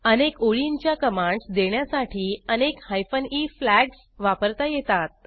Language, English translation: Marathi, Multiple hyphen e flags can be used to execute multiple line commands